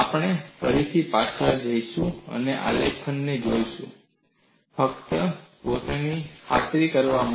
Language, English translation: Gujarati, We would again go back and look at the graph just to re convince our self